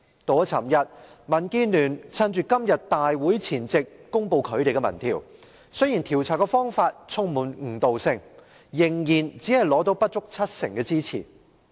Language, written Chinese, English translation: Cantonese, 昨天，民建聯趁着今次大會前夕公布其"一地兩檢"民意調查，雖然調查方法充滿誤導性，但只有不足七成回應者表示支持。, Despite the downright misleading methodology of the survey only less than 70 % of the respondents expressed support for the co - location arrangement